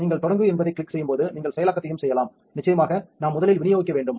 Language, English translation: Tamil, When you click start you can also do processing and of course, we need to dispense first